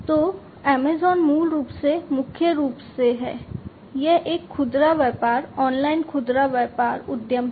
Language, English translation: Hindi, So, Amazon is originally primarily, it is a retail business online retail business enterprise